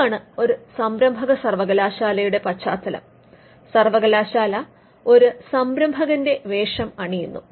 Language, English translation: Malayalam, So, this is the background of the entrepreneurial university, the university donning the role of an entrepreneur